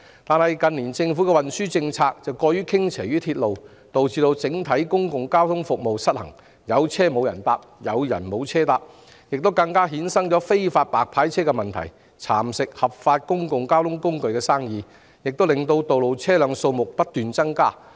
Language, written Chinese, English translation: Cantonese, 然而，近年政府的運輸政策過於向鐵路運輸傾斜，導致整體公共交通服務失衡，出現"有車無人搭，有人無車搭"的情況，更衍生出"白牌車"問題，蠶食合法經營的公共交通工具的業務，亦導致道路上的車輛數目不斷增加。, However in recent years the Governments transport policy has been too skewed towards rail transport . As a result there is an imbalance in the overall public transport service characterized by a mismatch between transport needs and availability thus giving rise even to the problem of illegal hire cars which not just undermine the business of legally operated public transport services but also lead to more traffic on the roads